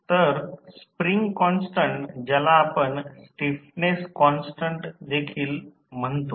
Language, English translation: Marathi, So, the spring constant we also call it as a stiffness constant